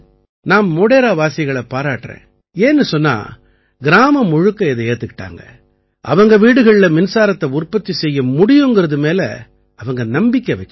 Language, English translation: Tamil, And I would like to congratulate the people of Modhera because the village accepted this scheme and they were convinced that yes we can make electricity in our house